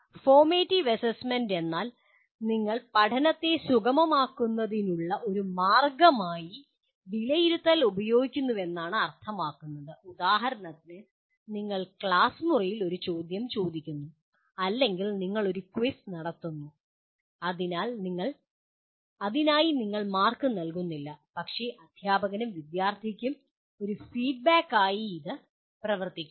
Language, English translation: Malayalam, Formative assessment means you are using assessment as a means of facilitating learning like for example you are asking a question in the classroom or you conduct a quiz for which you are not giving any marks but it essentially serves as a feedback both to the teacher as well as the student